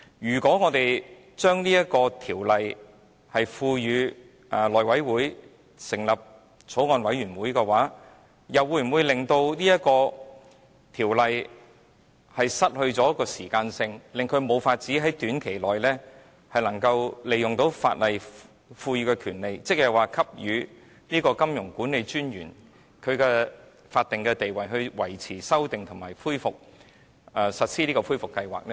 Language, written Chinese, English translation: Cantonese, 如果我們把《條例草案》付委內務委員會成立的法案委員會審議，又會否令法例不能發揮適時的效用，因而無法在短期內利用法例賦予的權利，即給予金融管理專員法定權力，以維持、修訂或實施恢復計劃呢？, If the Bill is committed to a Bills Committee set up by the House Committee for scrutiny will it inhibit the legislation from performing its function in a timely manner thus making it impossible for the powers conferred by the legislation namely the statutory powers conferred on MA to be invoked to maintain revise or implement a recovery plan?